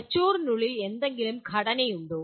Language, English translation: Malayalam, Is there any structure inside the brain